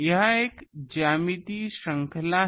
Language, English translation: Hindi, This is a geometric series